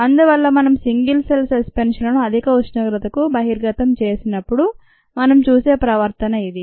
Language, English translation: Telugu, so this is the kind of behavior that we see when we expose single cell suspensions to high temperature